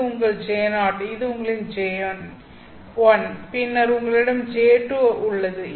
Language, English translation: Tamil, This is your J1, then you have J2